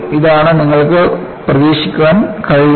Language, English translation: Malayalam, This is what you can anticipate